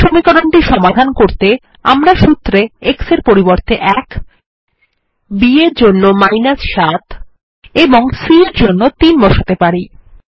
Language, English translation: Bengali, And we can solve the equation by substituting 1 for a, 7 for b, and 3 for c in the formula